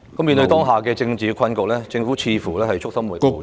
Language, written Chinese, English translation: Cantonese, 面對當下的政治困局，政府似乎束手無策......, The Government seems rather helpless in face of the present political predicament